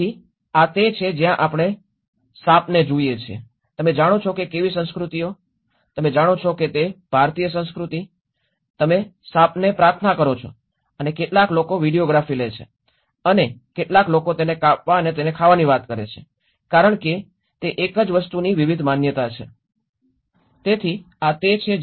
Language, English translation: Gujarati, So, this is where when we look at the snake you know how different cultures, the Indian culture you know, pray to the snake and some people take a videography and some people talk about cutting it and eating it you know, like that there is different perceptions of the same thing